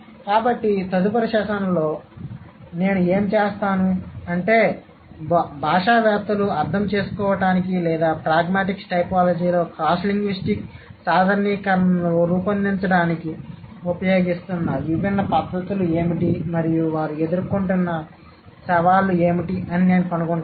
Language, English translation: Telugu, So, what I'll do in the next session is that I'll find out what are the different methods that linguists have been using to understand or to come up with cross linguistic generalizations in pragmatic typology and what are the challenges that they are facing